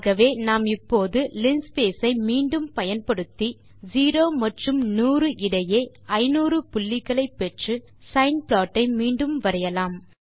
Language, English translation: Tamil, So now let us use linspace again to get 500 points between 0 and 100 and draw the sine plot again